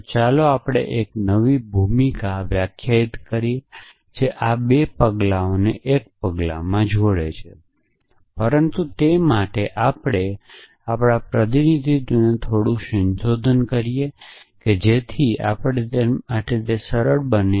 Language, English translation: Gujarati, So, let us define a new role which combines these 2 steps into 1 step, but to that let us first modify our representation little bit to make it simpler for us